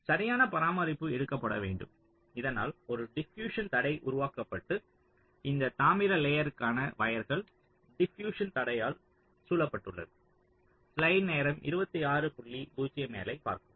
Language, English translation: Tamil, so proper care has to be taken so that a diffusion barrier is created, and this copper layers are wires must be surrounded by the diffusion barrier